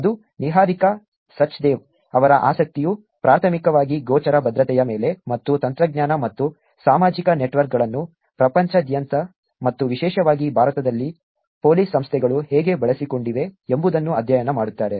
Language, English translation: Kannada, That is Niharika Sachdeva, whose interest is primarily on visible security and studying how technology and social networks have been used by police organizations around the world and particularly in India